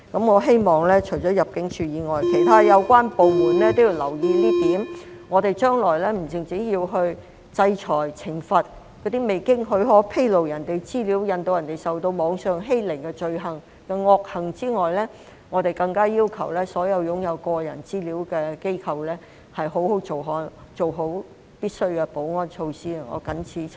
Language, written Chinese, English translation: Cantonese, 我希望除了入境處外，其他有關部門也要留意這一點，我們將來不單要制裁及懲罰那些未經許可披露他人資料，使他人受到網上欺凌的罪行和惡行外，更加要求所有擁有個人資料的機構必須做好必需的保安措施。, I hope that apart from ImmD other relevant departments also pay attention to this point . In the future we have to not just sanction and punish those crimes and misdeeds of unauthorized disclosure of other peoples information resulting in cyberbullying towards those people but also require all organizations in possession of personal data to take the necessary security measuresin an appropriate manner